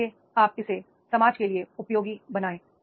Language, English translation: Hindi, So you will be making the useful to the society